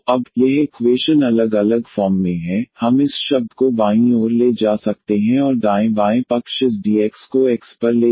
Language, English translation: Hindi, So, now, this equation is in separable form we can take this term to the left hand side and that the right hand side will go this dx over x and then we can integrate easily